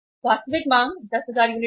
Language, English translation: Hindi, Actual demand was 10,000 units